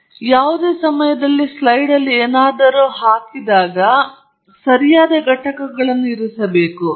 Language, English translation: Kannada, So, any time you put up something on a slide, you should put up the appropriate units